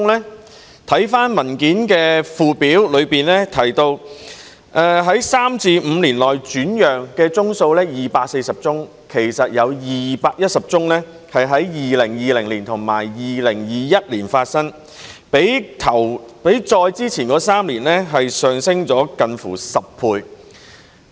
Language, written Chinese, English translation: Cantonese, 主體答覆的附表顯示，在第三至五年內轉讓居屋單位的有240宗，其實當中有210宗是在2020年及2021年發生的，較以往3年上升近10倍。, According to the Annex to the main reply 240 HOS flats were resold between the third to the fifth year from first assignment of which 210 transactions occurred in 2020 and 2021 representing a nearly 10 - fold increase over the preceding three years